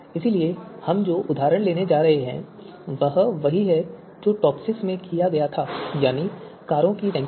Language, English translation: Hindi, So the example that we are going to take is the same one like we did in you know you know in TOPSIS ranking of cars